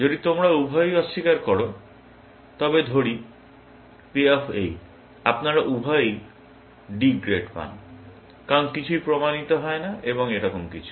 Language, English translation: Bengali, If both of you deny, then let us say, the payoff is this; you both get D grades, because nothing is proved and something like that